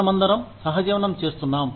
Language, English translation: Telugu, We are all, co existing